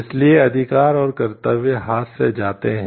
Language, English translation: Hindi, So, rights and duties goes hand in hand